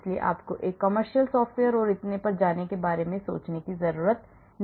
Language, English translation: Hindi, so you do not have to think about going for a commercial software and so on